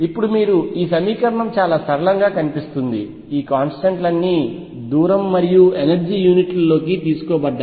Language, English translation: Telugu, Now you see this equation looks very simple all these constants have been taken into the units of distance and energy